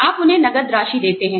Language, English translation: Hindi, You give them cash